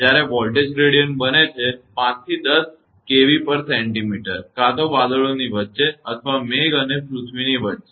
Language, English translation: Gujarati, When the voltage gradient become; 5 to 10 kilo Volt per centimeter either between the clouds or between the cloud and the earth